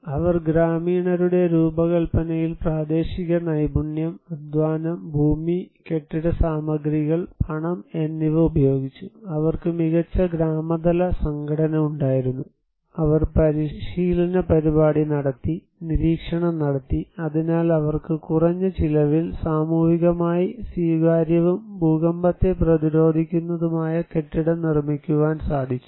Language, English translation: Malayalam, So, they use the local skill, labour, land, building materials and money designed by the villagers, better village level organization they had, they conducted training program, monitoring and therefore they have low cost socially acceptable and earthquake resistant building